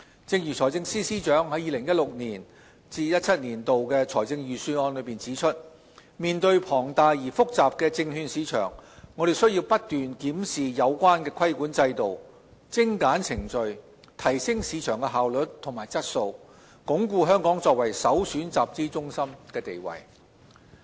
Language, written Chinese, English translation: Cantonese, 正如財政司司長在 2016-2017 年度財政預算案中指出，面對龐大而複雜的證券市場，我們須不斷檢視有關規管制度、精簡程序、提升市場效率和質素，鞏固香港作為首選集資中心的地位。, As pointed out by the Financial Secretary in the 2016 - 2017 Budget given the size and complexity of the securities market we need to constantly review the relevant regulatory regime streamline procedures enhance market efficiency and quality so as to reinforce Hong Kongs status as the premiere capital formation centre